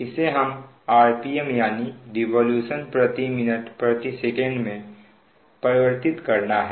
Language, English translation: Hindi, this one we have to convert it to r p m revolution per minute per second